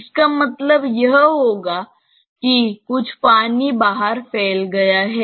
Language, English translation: Hindi, This will mean some water has spilled out